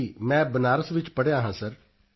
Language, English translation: Punjabi, Yes, I have studied in Banaras, Sir